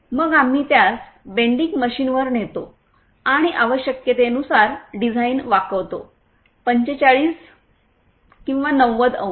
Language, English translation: Marathi, Then we take it to the bending machine and bends the design according to the requirement – 45/90 degrees